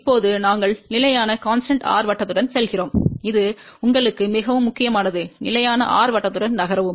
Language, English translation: Tamil, Now, we move along the constant r circle, it is very very important you move along constant r circle